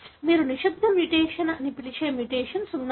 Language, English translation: Telugu, There are mutations which you call as silent mutation